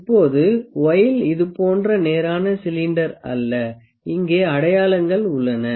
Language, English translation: Tamil, Now, the voile is not a straight cylinder like this, there markings here